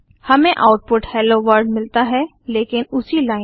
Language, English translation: Hindi, We get the output as Hello World but on the same line